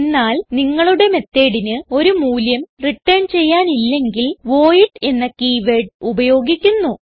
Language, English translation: Malayalam, But if you donât want the method to return a value then the keyword voidis used